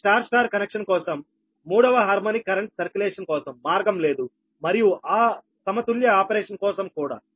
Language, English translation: Telugu, this connection is rarely used, right, but there is no path for third harmonic current circulation, for the star star connection, right, and for a unbalanced operation, right